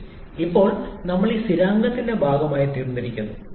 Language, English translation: Malayalam, R becomes a part of this constant now